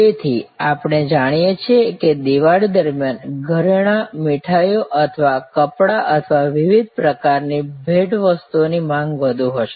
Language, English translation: Gujarati, So, we know that during Diwali there will be a higher level of demand for jewelry or for sweets or for clothing or for different types of gift items